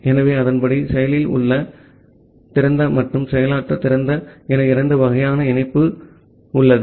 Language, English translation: Tamil, So, accordingly we have two kind of connection called active open and the passive open